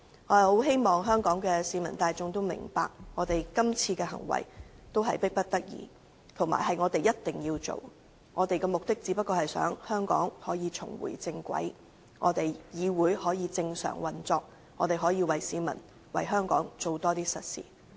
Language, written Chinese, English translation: Cantonese, 我十分希望市民大眾明白，今次這樣做實在是迫不得已，但卻一定要做，目的就是要令香港重回正軌、令議會正常運作，並為市民和香港多做實事。, I very much hope that members of the public will understand that we actually have no alternative this time . We must amend RoP in order to bring Hong Kong back on the right track resume the normal operation of the legislature and do more real work for the public and Hong Kong